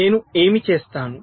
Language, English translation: Telugu, so what i do